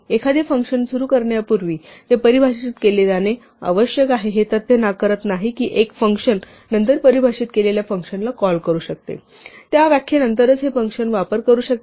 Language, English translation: Marathi, Though we say a function must be defined before it is invoked it does not rule out the fact that one function can call a function which is defined after it, provided that you use this function only after that definition